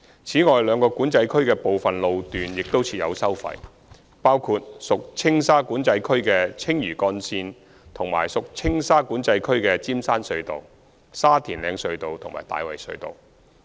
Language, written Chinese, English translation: Cantonese, 此外，兩個管制區的部分路段亦設有收費，包括屬青馬管制區的青嶼幹線和屬青沙管制區的尖山隧道、沙田嶺隧道及大圍隧道。, Tolls are also collected at certain road sections within the two Control Areas namely the Lantau Link in TMCA and the Eagles Nest Tunnel Sha Tin Heights Tunnel and Tai Wai Tunnel in TSCA